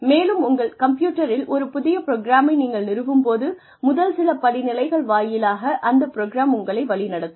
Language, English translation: Tamil, And, when you install a new program on your computer, the program itself takes you through, the first few steps